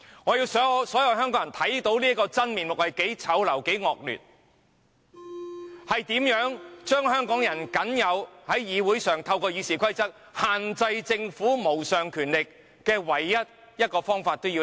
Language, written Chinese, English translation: Cantonese, 我要讓所有人看到這個真面目多麼醜陋、多麼惡劣，如何將香港人在議會上透過《議事規則》限制政府無上權力的這個唯一方法剝奪。, I must make everyone see how ugly and terrible the truth is how Hong Kong people will be stripped of their only means to restrict the Governments supreme powers in the Council by means of RoP